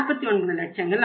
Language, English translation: Tamil, That will work out as 49 lakhs